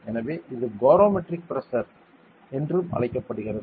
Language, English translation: Tamil, So, this is also called barometric pressure ok